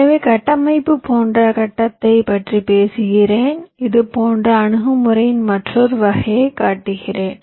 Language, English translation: Tamil, so, talking about the grid like structure, so i am showing you another kind of a similar approach